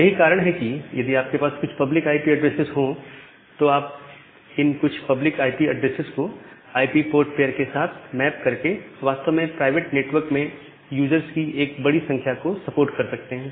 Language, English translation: Hindi, With that very few public IP addresses by making a mapping with IP port pair, you can actually support a large number of users in the private network